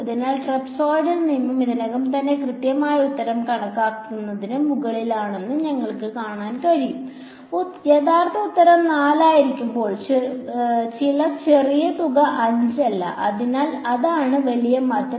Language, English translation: Malayalam, So, you can see that the trapezoidal rule is already over estimating the exact answer and not by some small amount 5 when the actual answer should be 4; so, that is the big change